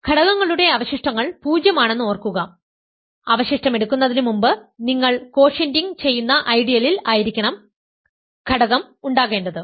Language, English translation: Malayalam, Remember elements residues are 0, if before taking the residue the element is in the ideal that you are quotienting